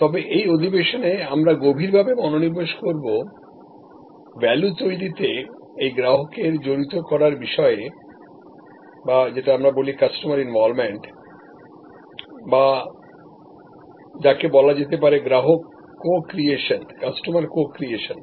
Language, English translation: Bengali, But, in this particular session we will focus more deeply on this customer involvement in value creation or what we call Customer Co Creation